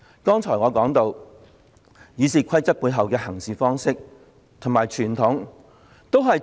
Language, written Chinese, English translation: Cantonese, 剛才我提到《議事規則》當中的行事方式及背後傳統。, What I talked about just now are the practices contained in RoP and the underlying tradition